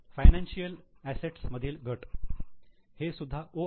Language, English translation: Marathi, Decrease in financial assets, this is also O